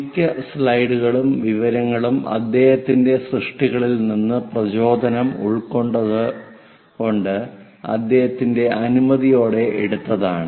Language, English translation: Malayalam, So, most of the slides, information is inspired by his works and taken with his permission